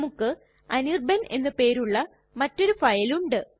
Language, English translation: Malayalam, Say we have another file named anirban